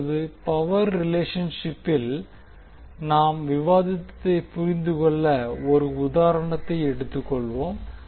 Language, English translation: Tamil, Now, let us take one example to understand what we have discussed in relationship with the power